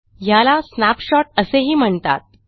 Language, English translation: Marathi, This is also known as a snapshot